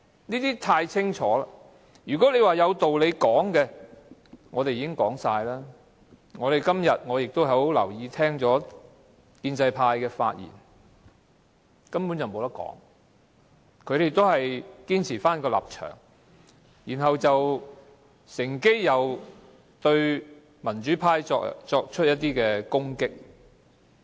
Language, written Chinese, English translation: Cantonese, 我們已闡述所有道理，而我今天亦很留意建制派的發言，但根本沒有討論的餘地，他們依然堅持立場，還乘機對民主派作出攻擊。, We have stated all the reasons and I have also noted the speeches made by pro - establishment Members today . There is really no room for negotiation . They have maintained their stance and even taken the opportunity to attack the democrats